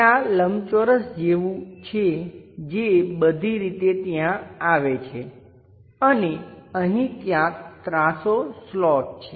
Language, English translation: Gujarati, Something like there is a rectangle which comes all the way there and there is an inclined slot somewhere here